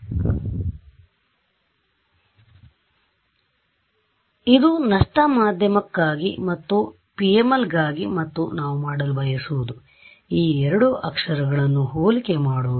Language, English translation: Kannada, So, this is for lossy media and this is for PML and what we want to do is compare these two characters